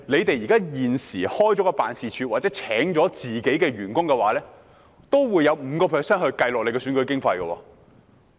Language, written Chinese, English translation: Cantonese, 大家現時開設辦事處或聘請員工的支出的 5% 須計算在選舉經費內。, For the expenses incurred by Members for opening Members offices or employing staff 5 % of the amount has to be accounted as election expenses